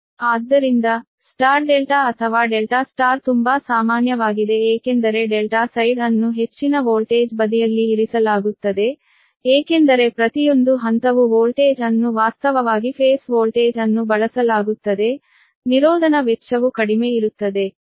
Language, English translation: Kannada, so for star delta or delta star are very common because delta star kept under your high voltage side, because each phase that voltage actually will be the phase voltage will be used